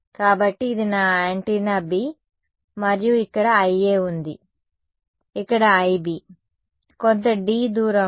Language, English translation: Telugu, So, this is my antenna B and there is I A here, I B over here ok, some distance d apart